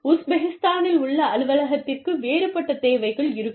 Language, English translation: Tamil, The office in Uzbekistan, will have a different set of needs